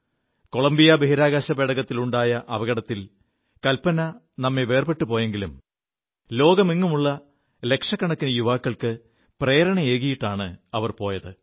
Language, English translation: Malayalam, She left us in the Columbia space shuttle mishap, but not without becoming a source of inspiration for millions of young people the world over"